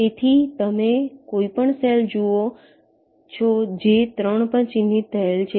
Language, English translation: Gujarati, so you see any cell which is marked at three as three